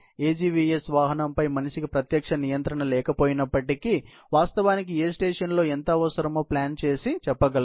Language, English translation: Telugu, And although, the human does not have any direct control over the AGVS vehicle, but it can actually, plan and say that how much is needed at what station